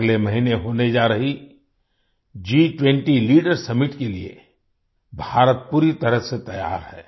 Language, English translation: Hindi, India is fully prepared for the G20 Leaders Summit to be held next month